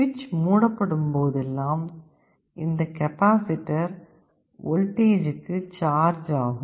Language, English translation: Tamil, Whenever the switch is closed this capacitor will get charge to that voltage